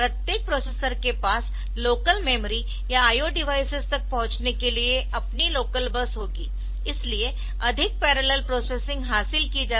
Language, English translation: Hindi, Each processor will have its a local bus to access local memory or I O devices, so that greater degree of parallel processing can be achieved